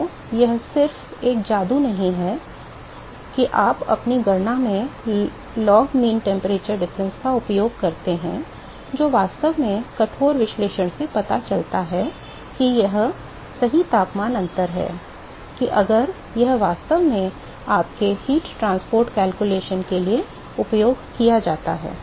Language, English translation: Hindi, So, it is not just a magic that you use log mean temperature difference in your calculations, which actually rigorous analysis that shows that that is the correct temperature difference that if it actually used for your heat transport calculation